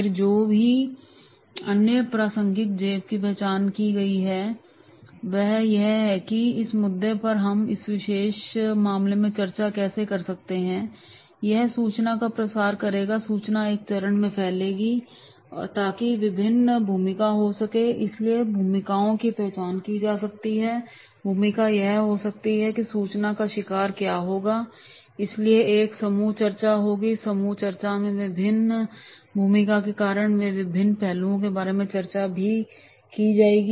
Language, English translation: Hindi, Then whatever the relevant pocket has been identified, that is yes, this issue we can discuss in this particular case, then that will make the spread the information, information will be spread in phase one so that there can be different roles, roles can be identified, the role can be there is the information hunt will be there, so therefore the group discussion will be there and in the group discussion because of the different roles they will be discussing about different aspects